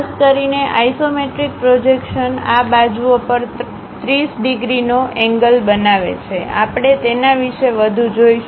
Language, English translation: Gujarati, Especially isometric projections one of the lines makes 30 degrees angle on these sides; we will see more about that